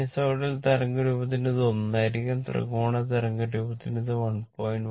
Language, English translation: Malayalam, It will be 1 for sinusoidal waveform, it will be 1